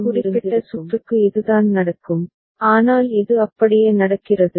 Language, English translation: Tamil, So, this is what happens for this particular circuit, but this is happening just like that